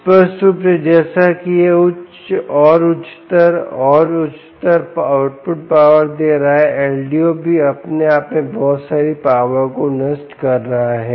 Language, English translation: Hindi, clearly, as it is giving higher and higher and higher output power, the ldo is also dissipating a lot of power across itself